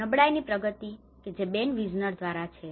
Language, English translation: Gujarati, The progression of vulnerability, this is by Ben Wisner